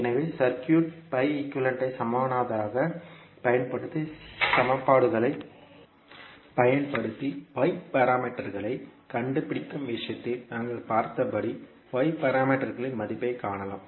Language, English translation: Tamil, So using the circuit pi equivalent also you can find the value of y parameters as we saw in case of finding out the y parameters using equations